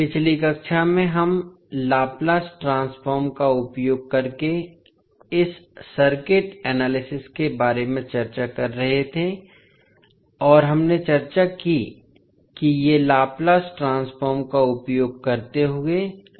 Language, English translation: Hindi, So, in the last class we were discussing about this circuit analysis using laplace transform and we discussed that these are circuit analysis using laplace transforming involves